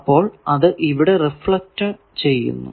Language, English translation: Malayalam, So, it is giving reflected